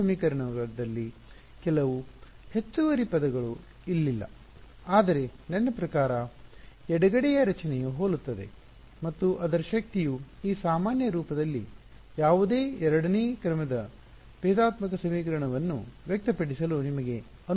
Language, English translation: Kannada, Not exactly there is there are some extra terms in that equation which are not over here, but I mean the left hand side structure looks similar and the power of that is it allows you to express almost any second order differential equation in this generic form ok